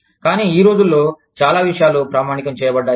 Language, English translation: Telugu, But, nowadays, a lot of things, have been standardized